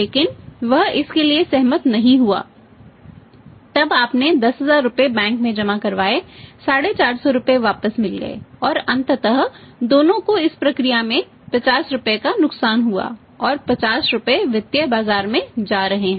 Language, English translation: Hindi, But he did not agree for that then you got 10000 deposited in the bank got the return 450 rupees ultimately both lost 50 rupees in this process and that 50 rupees is going to the financial market